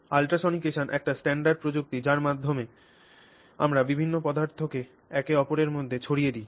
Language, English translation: Bengali, So, ultrasonication is a standard technique by which we disperse various substances in each other for example